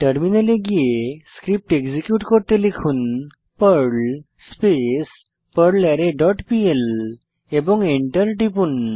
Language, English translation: Bengali, Then switch to the terminal and execute the Perl script by typing perl arrayFunctions dot pl and press Enter